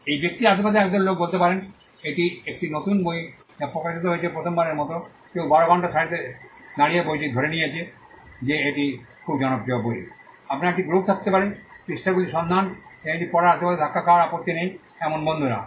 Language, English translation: Bengali, There could be a group of people around that person say it is a new book which has been released for the first time somebody stood in the queue for 12 hours and got the book assume it is a very popular book, you could have a group of friends who do not mind being pushed around looking into the page and reading it